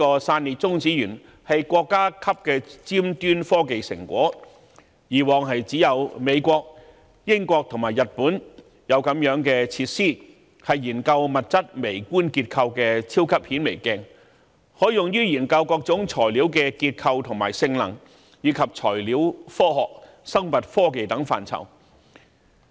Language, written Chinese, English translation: Cantonese, 散裂中子源是國家級的尖端科技成果，過往只有美國、英國和日本才有此類設施，是研究物質微觀結構的超級顯微鏡，可用於研究各種材料的結構和性能，以及材料科學、生物科技等範疇。, Spallation Neutron Source is a cutting - edge national scientific facility which were only found in the United States the United Kingdom and Japan in the past . The facility is likened to a super microscope for studying the microstructures of materials . It can be used to study the structure and functions of different materials as well as for materials science life science etc